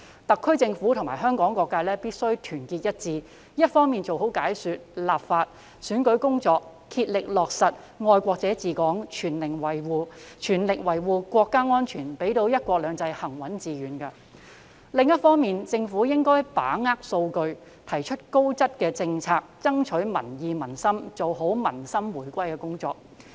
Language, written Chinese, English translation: Cantonese, 特區政府及香港各界必須團結一致，一方面做好解說、立法及選舉工作，竭力落實"愛國者治港"，全力維護國家安全，讓"一國兩制"行穩致遠；另一方面，政府應該把握數據，提出高質政策，以爭取民意民心，做好民心回歸的工作。, The SAR Government and various sectors of Hong Kong must stand united . On the one hand the Government should make good efforts in doing its explanatory legislative and electoral work to strive for the implementation of patriots administering Hong Kong and safeguard national security with full strength so as the steadfast and successful implementation of one country two systems . On the other hand the Government should make good use of the data to formulate high - quality policies so as to win popular support and achieve reunification of peoples hearts